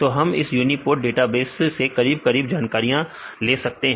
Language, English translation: Hindi, So, we get almost all the information from this uniprot database